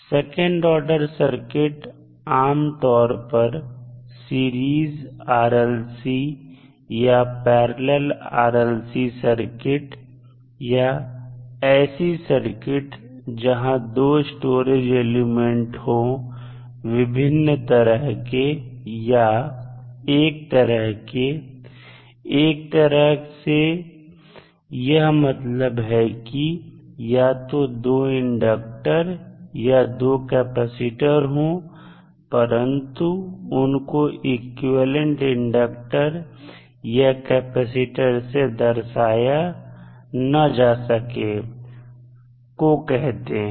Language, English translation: Hindi, So, second order circuits can typically series RLC circuit or parallel RLC circuits or maybe the 2 storage elements of the different type or same type; same type means that the elements can be either 2 inductors or 2 capacitors but these elements cannot be represented by an equivalent single element